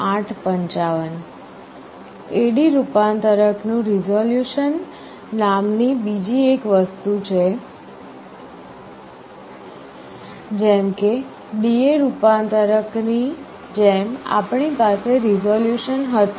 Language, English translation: Gujarati, There is another thing called resolution of an A/D converter, just like in a D/A converter we had resolution